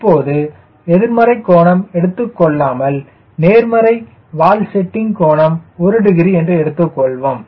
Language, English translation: Tamil, right, i do not give negative tail setting angle, i give positive tail setting angle, but this angle is one degree